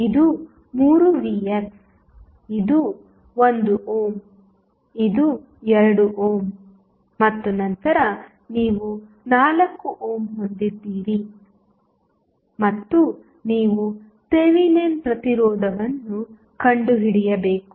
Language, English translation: Kannada, So, this is 3 Vx this is 1 ohm this is 2 ohm and then you have 4 ohm and you need to find out the Thevenin resistance